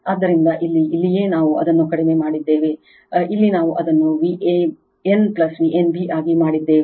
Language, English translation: Kannada, So, this here that is why here we have made it low, here we made it V a n plus V n b here